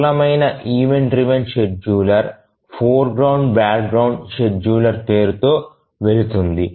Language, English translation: Telugu, The simplest event driven scheduler goes by the name foreground background scheduler